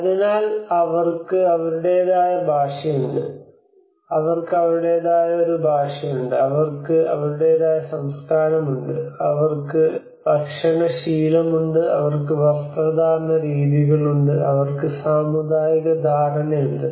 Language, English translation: Malayalam, So they have their own language, they have their own dialect, they have their own culture, they have food habits, they have their dressing senses, they have their communal understanding